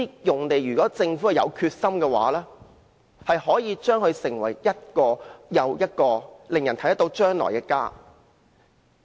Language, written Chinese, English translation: Cantonese, 如果政府有決心，可以把這些用地變成一個又一個令人看見將來的家。, If the Government is resolute it can build on these sites one home after another where people can see their future